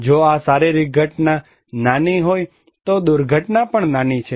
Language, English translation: Gujarati, If this physical event is small, disaster is also small